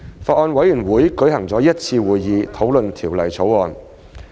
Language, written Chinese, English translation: Cantonese, 法案委員會舉行了一次會議討論《條例草案》。, The Bills Committee held one meeting to deliberate on the Bill